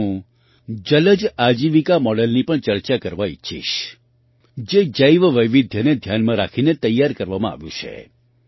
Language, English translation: Gujarati, Here I would like to discuss the 'Jalaj Ajeevika Model', which has been prepared keeping Biodiversity in mind